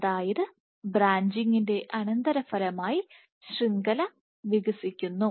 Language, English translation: Malayalam, So, network expands as a consequence of branching